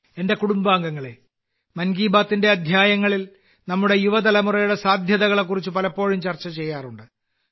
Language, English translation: Malayalam, My family members, in episodes of 'Mann Ki Baat', we often discuss the potential of our young generation